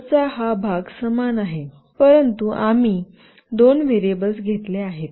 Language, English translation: Marathi, This part of the code is the same basically, but we have taken two variables